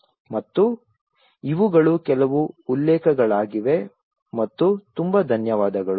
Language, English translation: Kannada, And these are some of the references for your reference and thank you very much